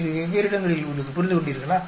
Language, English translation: Tamil, It is in a different places, understood